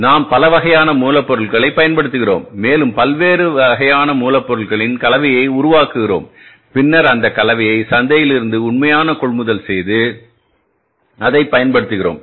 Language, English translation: Tamil, We use the multiple type of raw materials and we make a mix of the different types of the raw materials and then we go for the actual buying of that mix from the market and using that